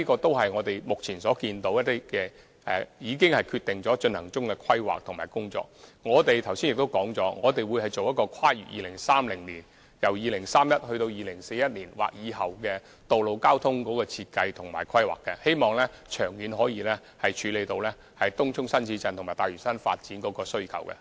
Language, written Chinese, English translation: Cantonese, 但是，這些只是當局目前一些已經決定並進行中的規劃及工作，而我剛才亦已指出，我們會進行《香港 2030+》，檢視本港由2031年至2041年或以後的道路交通設計及規劃，希望長遠可以處理東涌新市鎮及大嶼山發展的需求。, However these are merely the undergoing works of the authorities according to their decisions and planning . As I highlighted earlier we will conduct Hong Kong 2030 to look into the road traffic design and planning of Hong Kong from 2031 to 2041 or beyond in the hope that we can take care of the traffic demand of Tung Chung New Town and the development on Lantau Island in the long run